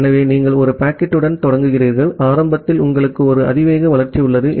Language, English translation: Tamil, So, you start with one packet, and initially you have a exponential growth